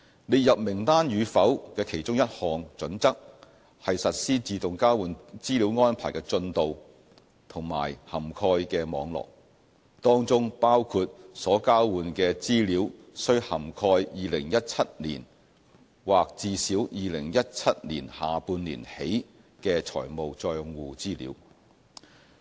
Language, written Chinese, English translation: Cantonese, 列入名單與否的其中一項準則，是實施自動交換資料安排的進度和涵蓋的網絡，當中包括所交換的資料須涵蓋2017年或至少2017年下半年起的財務帳戶資料。, One of the listing criteria is the progress and the network of implementing AEOI which includes the requirement that information exchanged should cover information of financial accounts in 2017 or at least covering the period starting from the second half of 2017